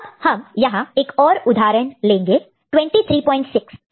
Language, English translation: Hindi, So, we have one more example here 23